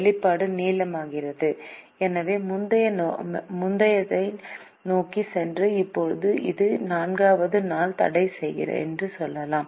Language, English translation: Tamil, the expression becomes longer, so we could go back to the previous one and say that now this is the day four constraint